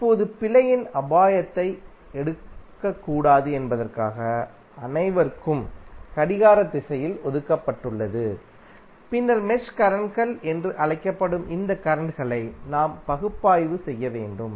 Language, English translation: Tamil, Now, all have been assigned a clockwise direction for not to take risk of error and then we have to analyse these currents which are called mesh currents